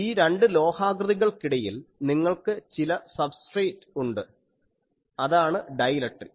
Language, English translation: Malayalam, So, between the two these metallic structures, you have some substrate that is a dielectric